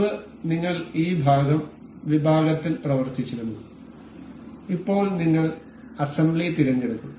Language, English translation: Malayalam, Earlier you we used to work in this part section, now we will be selecting assembly